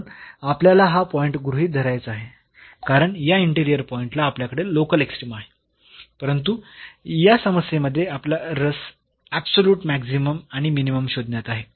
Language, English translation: Marathi, So, we have to consider this point because we can have local extrema at this interior point, but in this problem we our interest is to find absolute maximum and minimum